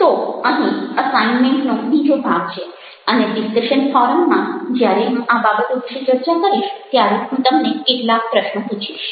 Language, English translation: Gujarati, so here is the other part of the assignment and i will be asking you some questions when i will be discussing this things with you on the discussing forum at the end of this